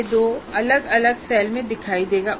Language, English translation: Hindi, So, CO2 will appear in two different cells